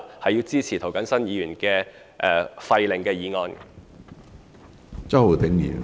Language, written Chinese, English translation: Cantonese, 我支持涂謹申議員廢令的決議案。, I support Mr James TOs proposed amendments to repeal the Orders